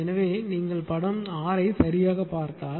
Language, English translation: Tamil, So, if you look at figure 6 ah right